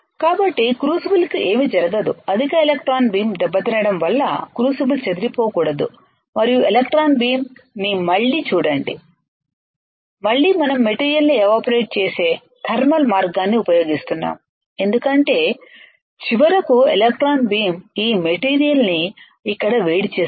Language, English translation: Telugu, So, that nothing happens to the crucible, crucible should not get disturbed because of the high electron beam damages and (Refer Time: 36:52) to electron beam again this is we are still using the thermal way of evaporating the material because finally, electron beam will heat this thing here